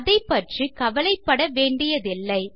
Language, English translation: Tamil, This is nothing to worry about